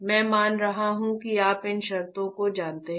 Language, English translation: Hindi, I am assuming that you know these terms ok